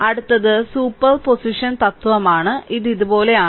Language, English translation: Malayalam, So, next is superposition principle so, this is something like this